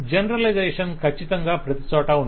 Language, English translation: Telugu, Generalization is certainly everywhere